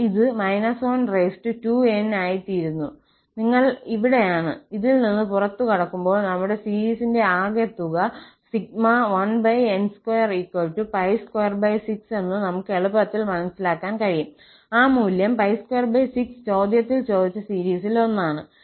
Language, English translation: Malayalam, So, it becomes minus 1 power 2n, you will get here and out of this, we can easily figure out that our sum of the series 1 over n square, that value will be pi square by 6, one of the series which was asked in the question